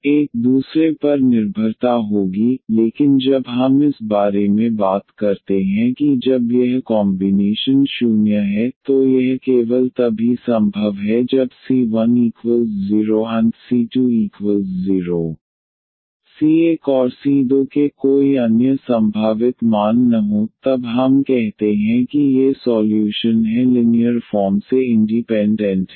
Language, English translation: Hindi, So, there will be dependency on each other, but when we talk about that when this combination is 0 this is only possible when c 1 is 0 and c 2 is 0 there is no other possible values of c 1 and c 2 then we call that these solutions are linearly independent